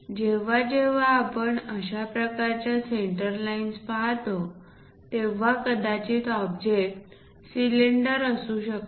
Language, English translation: Marathi, Whenever we see such kind of center lines, that indicates that perhaps it might be a part of cylinder